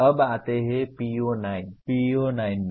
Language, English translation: Hindi, Now come PO9